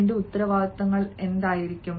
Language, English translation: Malayalam, what will be my responsibilities